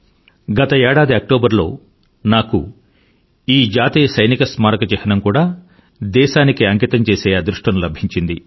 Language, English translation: Telugu, In the month of Octoberlast year, I was blessed with the opportunity to dedicate the National Police Memorial to the nation